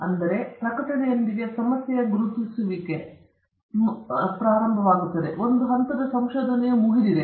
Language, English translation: Kannada, So, it begins with identification of the problem and sort of ends with publishing; one stage of research is over